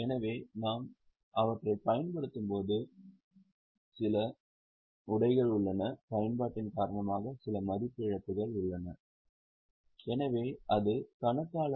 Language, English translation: Tamil, So, as we use them, there is some wear and tear, there is some value loss because of utilization